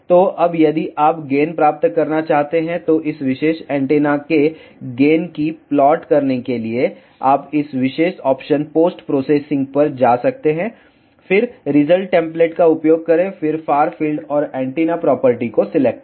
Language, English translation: Hindi, So, now, if you want to plot the gain, so to plot the gain of this particular antenna, you can go to this particular option post processing then use result template then select far field and antenna properties